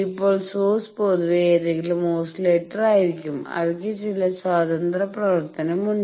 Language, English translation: Malayalam, Now sources they generally any oscillator it has some free running